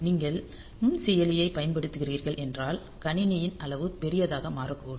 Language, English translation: Tamil, So, if you are using microprocessor as I have said that the size of the system may become large